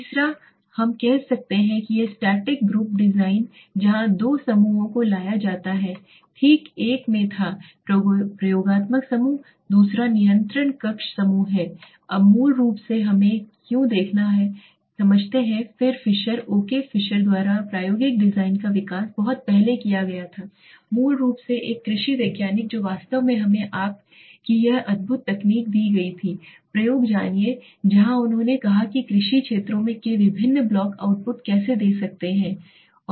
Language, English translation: Hindi, The third is we say the static group design where two groups are brought in now right one was the experimental group the other is the control group now why see basically we have to understand that experimental design were developed by long back by fisher okay Fisher was basically an agriculture scientist who was who actually gave us this wonderful technique of you know experimentation where he said how different blocks of agricultural fields can give outputs right